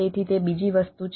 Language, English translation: Gujarati, that is the first thing